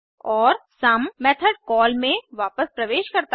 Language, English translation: Hindi, And the sum is returned to the method call